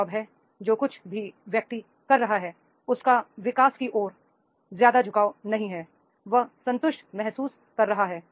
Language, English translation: Hindi, Job is that is the whatever the person is doing, he is not much inclined towards the growth, he is feeling the contented, he is satisfied